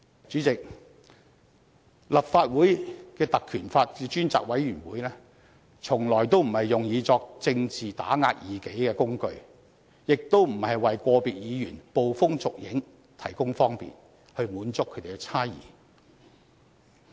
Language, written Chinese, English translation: Cantonese, 主席，立法會的《條例》及專責委員會從來都不是用作政治打壓異己的工具，亦不是為個別議員捕風捉影提供方便，以滿足他們的猜疑。, President the Ordinance and the select committees of this Council are never meant to be a tool of suppressing political rivals . They are also not meant to be used as convenient tool by individual Members to satisfy their desire to very their wild guesses